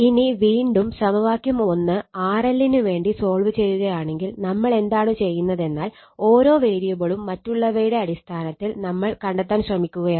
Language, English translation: Malayalam, Now, again if you solve from equation one in RL if you solve for RL in terms of other quantities, what we are doing is each con variable we are trying to find out in terms of others right